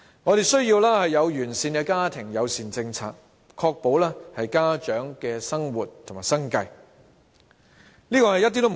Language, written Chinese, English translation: Cantonese, 我們需要完善的家庭友善政策，確保家長能維持生活和生計。, We need a sound family - friendly policy to ensure that parents can maintain their living and livelihood